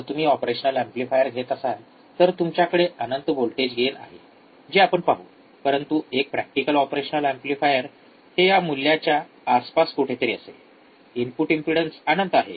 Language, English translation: Marathi, So, what are those characteristics like I said if you take a ideal operational amplifier, then you have infinite of voltage gain we will see, but practical operation amplifier it would be somewhere around this value, in input impedance is infinite